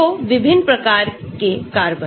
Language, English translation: Hindi, so different types of carbon